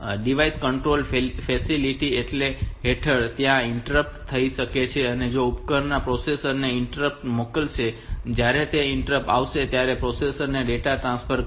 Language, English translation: Gujarati, Under the device controlled facility so there can be interrupt, so device will send an interrupt to the processor and when that interrupt comes there are the processor will transfer the data